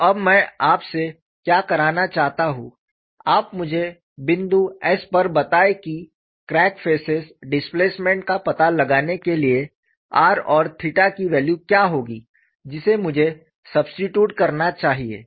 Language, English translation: Hindi, So, now what I want you to do is, you tell me at point s to find the displacement of crack faces what is the value of r n theta, I should substitute